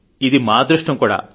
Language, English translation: Telugu, Am fortunate too